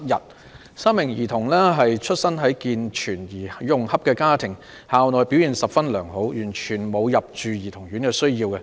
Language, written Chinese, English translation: Cantonese, 該3名兒童出身於健全而融洽的家庭，校內表現十分良好，完全沒有入住兒童院的需要。, The three minors come from healthy and harmonious families and they all perform very well at school . There was completely no need to send them to childrens homes at the outset